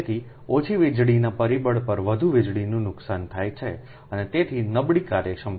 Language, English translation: Gujarati, so more power losses incur at low power factor and hence poor efficiency